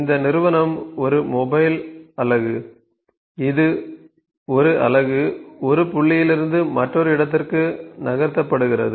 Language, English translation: Tamil, This entity is a mobile unit that is a 1 unit is being moved from 1 point to another ok